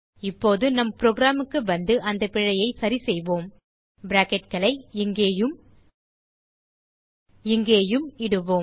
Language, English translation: Tamil, Now let us go back to our program and fix the error Let us insert the brackets here and here